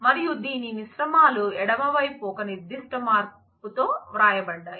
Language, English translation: Telugu, And it is composites are written with certain shift on the left